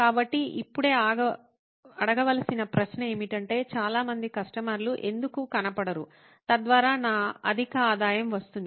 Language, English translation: Telugu, So the question to ask right now would be, why don’t many customers show up, thus which will result in my high revenue